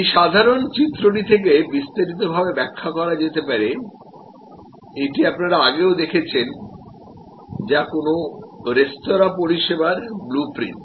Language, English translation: Bengali, This simple diagram can be elaborated, which you have seen this diagram before, which is the service blue print of a restaurant